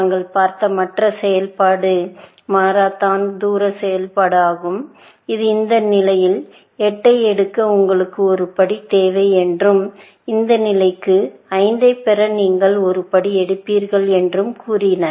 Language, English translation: Tamil, The other function that we saw was the Manhatten distance function, which said that you need one step to take 8 to this position, and you will take one step to get 5 to this position